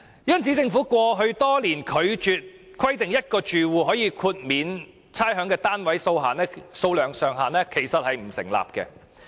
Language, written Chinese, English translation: Cantonese, 因此，政府過去多年拒絕規定1個住戶可獲豁免差餉的單位數目上限，並不成立。, Therefore the reason cited by the Government over the years for not limiting the number of rateable properties per ratepayer eligible for rates concession is not valid